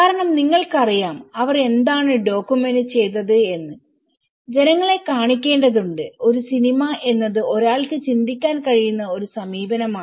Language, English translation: Malayalam, Because you know one need to showcase that what they have documented to the people this is where a film is one approach one can think of